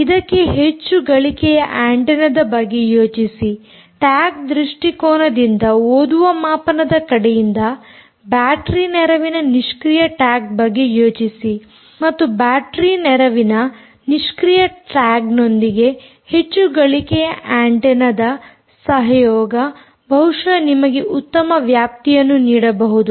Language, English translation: Kannada, think about a high gain antenna from the reader side, think about a battery assisted passive tag from the a tag perspective, and therefore, combination of high gain antenna with battery assisted passive tag can perhaps give you a good range